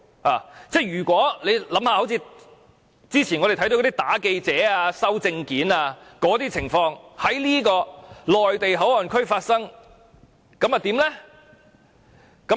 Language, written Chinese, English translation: Cantonese, 大家想一想：之前我們看到的打記者和沒收證件的那些情況如果在內地口岸區發生，那又會如何？, Come to think about it . What if incidents in which journalists are beaten and their documents confiscated as we have seen previously happen in MPA?